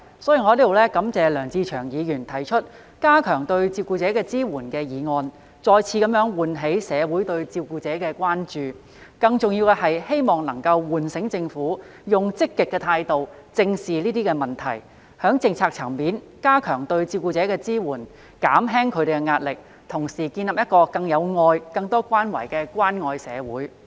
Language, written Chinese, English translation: Cantonese, 所以，我在此感謝梁志祥議員提出"加強對照顧者的支援"議案，再次喚起社會對照顧者的關注；更重要的是，希望能夠喚醒政府以積極態度正視這些問題，在政策層面加強對照顧者的支援，減輕他們的壓力，同時建立一個更有愛及有更多關懷的關愛社會。, Therefore I would like to thank Mr LEUNG Che - cheung for proposing the motion on Enhancing support for carers which arouses public concern for carers once again . More importantly hopefully this will be a wake - up call to the Government that these issues should be addressed in a proactive manner by enhancing the support for carers at policy level thereby alleviating their pressure and building a more loving and caring society